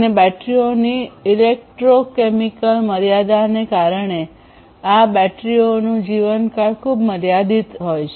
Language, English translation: Gujarati, And due to the electrochemical limitation of the batteries; so, what happens is these batteries will have a very limited lifetime